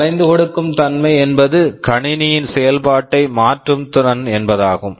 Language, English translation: Tamil, Flexibility means the ability to change the functionality of the system